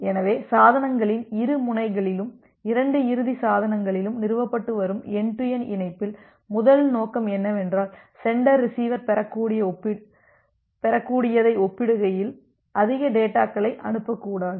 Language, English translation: Tamil, So, in this end to end connection which is being established on the two end of the devices, the two end devices, here our objective is the first objective is that the sender should not send more data compare to what the receiver can receive